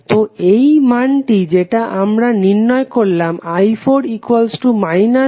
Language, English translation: Bengali, Now, we have to find the values from i 1 to i 4